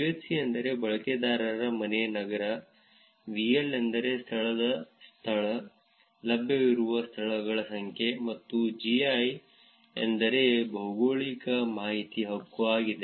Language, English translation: Kannada, UHC stands for user home city; VL stands for venue location, the number of venues that are available; and GI stands for geographic information right